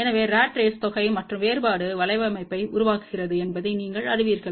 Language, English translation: Tamil, So, you know that ratrace generates sum and difference network